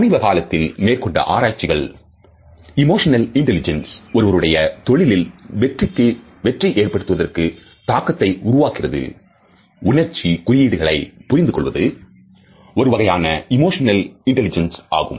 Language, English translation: Tamil, Recent research shows that emotional intelligence has an impact on how successful people are in their careers, being able to read emotional signals is one important part of that emotional intelligence